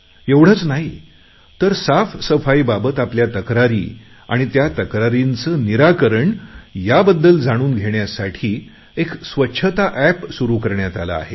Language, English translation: Marathi, Not only this, a cleanliness, that is Swachchhata App has been launched for people to lodge complaints concerning cleanliness and also to know about the progress in resolving these complaints